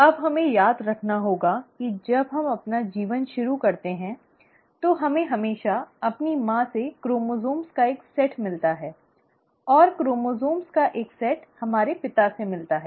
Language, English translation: Hindi, Now, what we have to remember is that when we start our life, we always get a set of chromosomes from our mother, and a set of chromosomes from our father